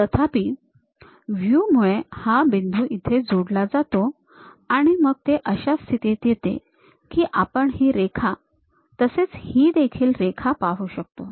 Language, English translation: Marathi, However, because of view, this point maps there and we will be in a position to see this line and also this one